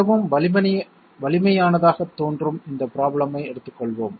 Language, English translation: Tamil, Let us take this problem that seems to be quite formidable